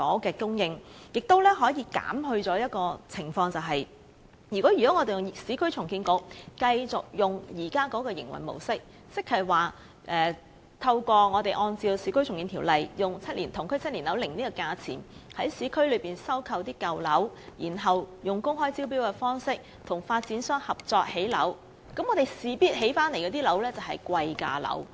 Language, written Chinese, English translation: Cantonese, 同時，這亦可避免一種情況，就是如果我們讓市建局沿用現時的營運模式，按照《市區重建局條例》以同區7年樓齡的樓價為指標在市區收購舊樓，再以公開招標的方式與發展商合作興建樓宇，建成的樓宇必屬貴價樓。, That can speed up the process of finding sites in the urban area for construction of public housing . At the same time it can avoid the situation where under its current mode of operation URA must acquire flats of old buildings in urban areas in accordance with the Urban Renewal Authority Ordinance by paying a price based on the value of a seven - year - old flat in the same general locality and then build housing in collaboration with private sector developers through open tender which will undoubtedly result in newly - built flats that command high prices